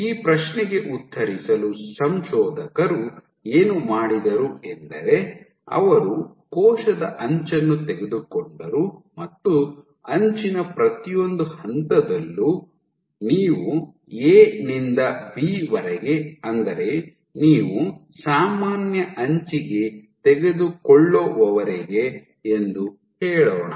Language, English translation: Kannada, So, to answer this question what the authors did was they took the edge of the cell and along at each point of the edge, let us take the trip A to B, and along this till you take normal to the edge